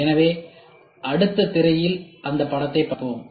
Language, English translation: Tamil, So, we will see the figure in the next slide